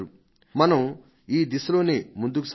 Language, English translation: Telugu, We should move in this direction